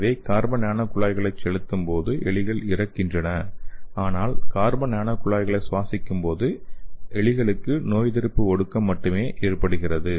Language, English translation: Tamil, So when you instill this carbon nano tubes the rats are died so when the carbon nano tubes are inhaled by the rats only the immune suppression happened